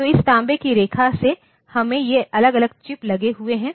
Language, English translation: Hindi, So, from this copper line, we have got these individual chips hanging